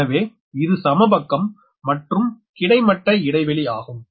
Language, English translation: Tamil, so this is equilateral and this is horizontal spacing, right